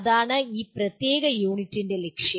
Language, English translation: Malayalam, That is the goal of this particular unit